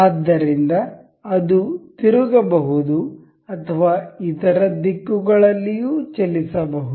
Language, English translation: Kannada, So, however, it can rotate or move in other directions as well